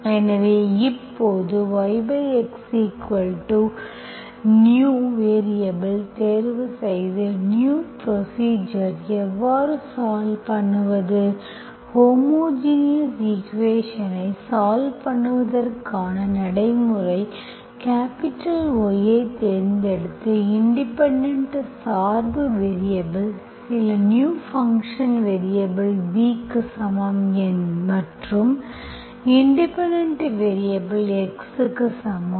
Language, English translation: Tamil, by x is equal to v, new variable as usual, how do we solve the new procedure, the procedure to solve the homogeneous equation, we have chosen capital Y is equal to, independent, dependent variable is equal to some new dependent variable v and independent variable x